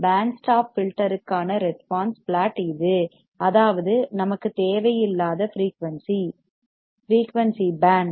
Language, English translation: Tamil, This is the plot for response plot for band stop filter; that means, a frequency that we do not require band of frequency